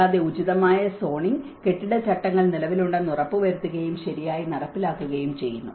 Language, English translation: Malayalam, Also, ensuring that appropriate zoning and building regulations are in place and being properly implemented